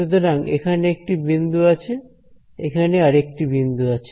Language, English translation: Bengali, So, that is one point over here, one point over here ok